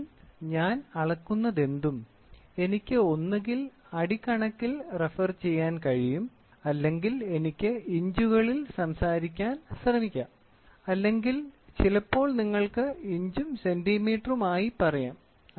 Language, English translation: Malayalam, So, whatever I measure, I can refer it either to feet units or I can even try to talk about in inches or sometimes if you have inches and centimeter